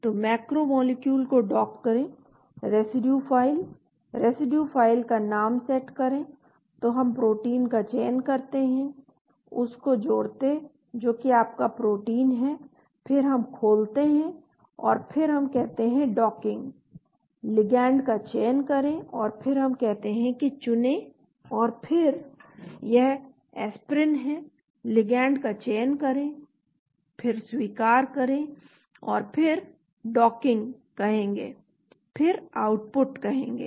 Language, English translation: Hindi, So docking macro molecule, residue file, set residue filename, so we select the protein, add which is your protein then we open and then we say docking, select ligand and then we say choose and then this is aspirin, select ligand, then accept and then will say docking then will say output